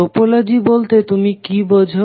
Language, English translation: Bengali, What do you mean by topology